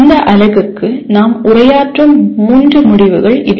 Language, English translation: Tamil, These are the three outcomes that we address in this unit